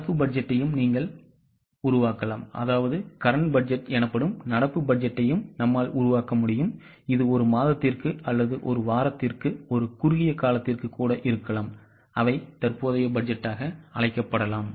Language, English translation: Tamil, You can also make a current budget which is even for a shorter time, say for a month or for a week that can be called as a current budget